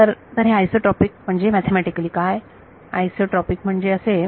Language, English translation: Marathi, So, what is isotropic mathematically means isotropic means that